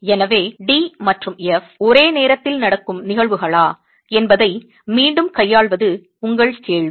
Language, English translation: Tamil, So this is your question is again dealing with whether D and F are simultaneous phenomena